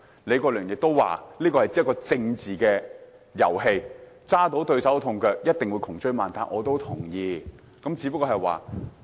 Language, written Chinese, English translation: Cantonese, 李國麟議員亦說，這是一場政治遊戲，如果抓到對手把柄，一定會窮追猛打，我也同意。, Prof Joseph LEE also said that this was a political game; if people obtained information against the opposite side they would certainly vigorously pursue the matter . I also agree